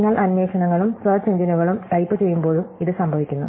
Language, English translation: Malayalam, This also happens when you type queries in search engines